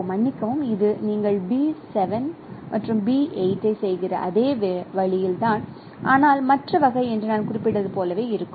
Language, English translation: Tamil, Sorry, this is in the same way you are doing B7 and B12, but now the other case could be as I was mentioning